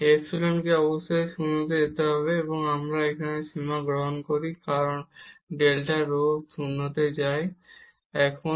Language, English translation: Bengali, So, the epsilon must go to 0 and we take the limit here as delta rho go to 0 goes to 0